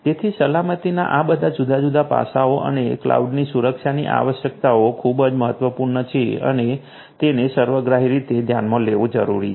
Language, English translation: Gujarati, So, all of these different you know aspects of security and the requirements of security for cloud are very important and has to be considered holistically